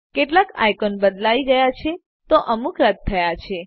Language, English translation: Gujarati, Some icons have been replaced while others have been removed